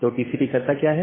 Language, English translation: Hindi, So, what TCP does